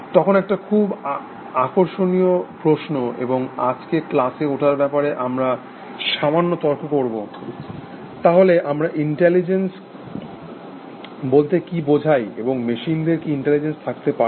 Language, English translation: Bengali, Now, it is a very interesting question, and we would debate it today a little bit, in the class, as to what we mean by intelligence and can machine have machines have it